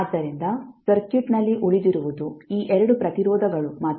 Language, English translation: Kannada, So, what we left in the circuit is only these 2 resistances